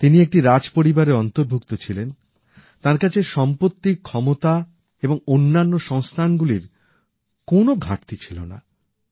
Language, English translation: Bengali, She was from a royal family and had no dearth of wealth, power and other resources